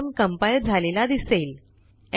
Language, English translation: Marathi, Let us now compile the program